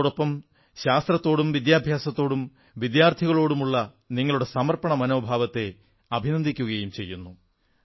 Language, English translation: Malayalam, I also salute your sense of commitment towards science, education and students